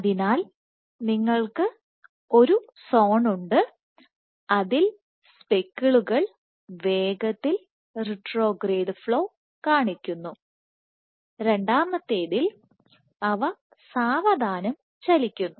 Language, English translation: Malayalam, So, you have one zone in which speckles exhibit fast retrograde flow, second one where moves slowly